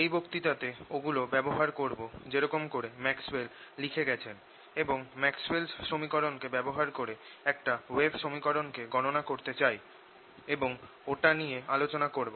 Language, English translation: Bengali, in this lecture i want to use them the way maxwell has written it and using those maxwell's equations we want to derive a wave equation and then discuss it further